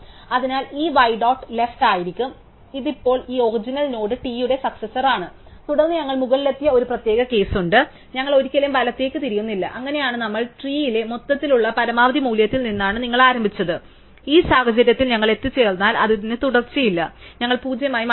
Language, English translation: Malayalam, So, it will be y dot left and therefore, this now this y is the successor of this original node t and then there is one special case where we have reach the top and we do not ever turn right and that is case where we as you as started from the maximum value overall in the tree, in which case we reach in then it has no successor of we will just return nil